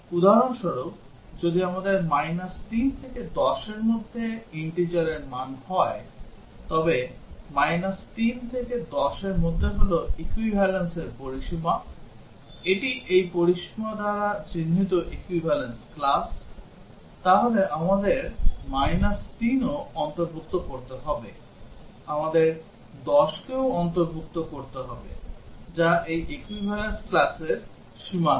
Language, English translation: Bengali, For example, if we have a range minus 3 to 10 integer values between minus 3 to 10 is range equivalence, it is equivalence class denoted by this range, then we would have to include minus 3, we would have to include 10 which are the boundaries of this equivalence class